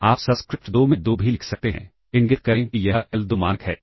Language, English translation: Hindi, You can also write a 2 in the subscript 2, indicate that is the l2 norm